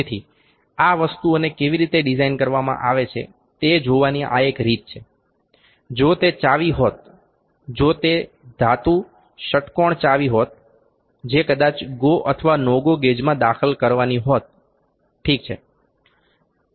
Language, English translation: Gujarati, So, this is actually one way to see that how the things are designed had it been a key, had it been a metal hexagonal key, which has to be inserted in something like may be GO or NO GO gauge, ok